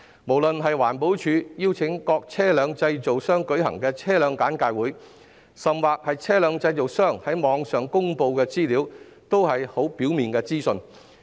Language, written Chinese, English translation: Cantonese, 不論是環保署邀請各車輛製造商舉行的車輛簡介會，甚或是車輛製造商在網上公布的資料，均只提供很表面的資訊。, Be it the vehicle briefing sessions held by various vehicle manufacturers at EPDs invitation or the information released online by the vehicle manufacturers the information provided is superficial